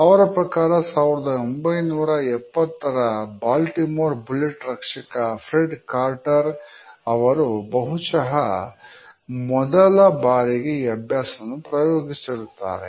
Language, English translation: Kannada, They had also noted that the Baltimore bullets guard Fred carter in the 1970’s was perhaps an early bumper